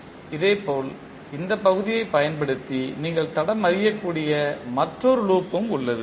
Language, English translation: Tamil, Similarly there is another loop which you can trace using this particular section